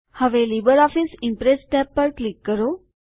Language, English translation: Gujarati, Now click on the LibreOffice Impress tab